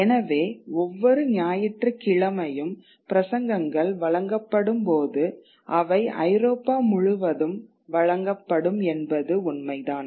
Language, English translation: Tamil, So when sermons are delivered every Sunday, they would be delivered across Europe